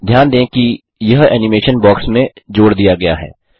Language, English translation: Hindi, Notice, that this animation has been added to the box